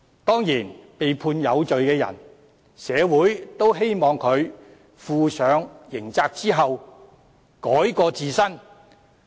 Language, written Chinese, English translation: Cantonese, 當然，對於被判有罪的人，社會也希望他們在負上刑責後改過自新。, It is the hope of the community that those who are convicted of being guilty will turn over a new leaf after being held criminally liable